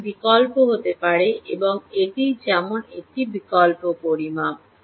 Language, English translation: Bengali, but they can be many alternatives and this is one such alternative measurement